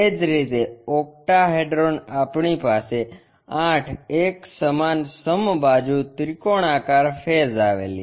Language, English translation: Gujarati, Similarly, the other ones in octahedron we have eight equal equilateral triangular faces